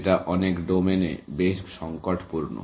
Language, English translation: Bengali, That is critical in many domains